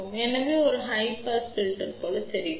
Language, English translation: Tamil, So, this looks like a high pass filter